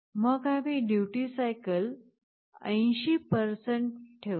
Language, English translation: Marathi, Then we make the duty cycle as 80%